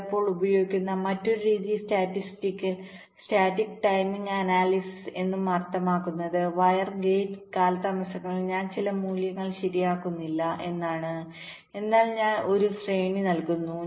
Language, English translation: Malayalam, ok, and another method which is also used, sometimes called statistical static timing analysis, which means i am not fixing some values in the wire and gate delays but i am giving a range i am assuming it is a random variable and representing them by a probability distribution